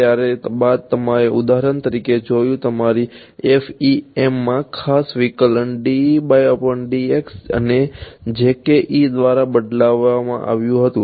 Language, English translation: Gujarati, Then you saw that for example, in your FEM the special derivative dE by dx was replaced by jkE